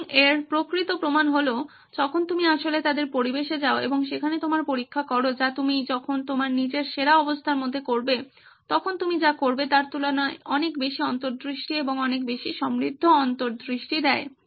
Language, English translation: Bengali, The actual proof of the pudding is when you actually go to their environment and do your testing there, that gives you far more insights and far more richer insights compared to what you would do when you are doing it in your own best conditions